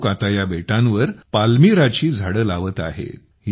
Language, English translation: Marathi, These people are now planting Palmyra trees on these islands